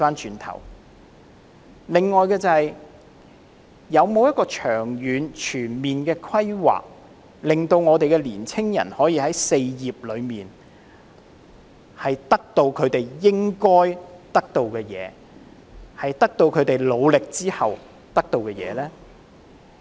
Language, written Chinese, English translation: Cantonese, 此外，政府有否長遠和全面的規劃，令年青人可以在"四業"中，得到他們在付出努力後應該得到的東西呢？, Moreover has the Government made long - term and comprehensive plans to address the four concerns of young people so that they can deservedly taste the fruits of their labour?